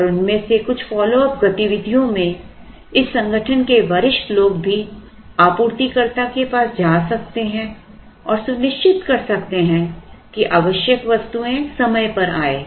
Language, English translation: Hindi, And some of these follow up activities could even be senior people from this organization visiting the supplier and making sure that the critical items that are required come in time